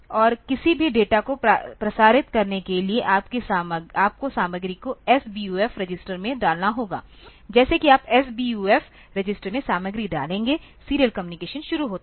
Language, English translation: Hindi, And for transmitting any data you have to put the content into the SBUF register; as soon as you can you put content to the SBUF register the serial communication starts